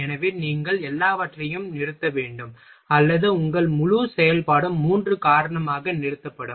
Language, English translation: Tamil, So, you will have to stop everything, or your whole operation will get stopped three because of this one